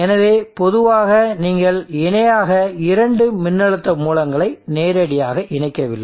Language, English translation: Tamil, So in general you do not directly connect to a voltage sources in parallel like this, this is not on